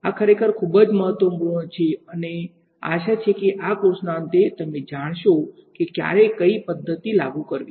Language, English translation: Gujarati, This is really very important and hopefully at the end of this course, you will know which method to apply when